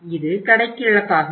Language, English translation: Tamil, It is the loss of the store